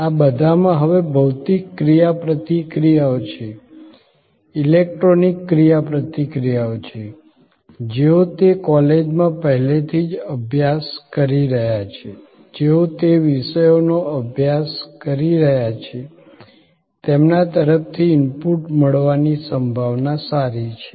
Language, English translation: Gujarati, All these now have physical interactions, electronic interactions, good possibility of getting inputs from people who are already studying in those colleges, people who are already studying those subjects